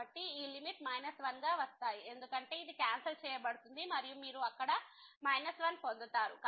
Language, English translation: Telugu, So, this limit will be coming as minus 1 because this will got cancelled and then you will get minus 1 there